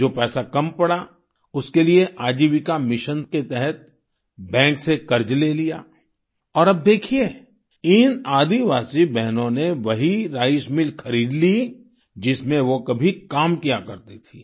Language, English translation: Hindi, Whatever amount of money was short, was sourced under the aegis of Ajivika mission in the form of a loan from the bank, and, now see, these tribal sisters bought the same rice mill in which they once worked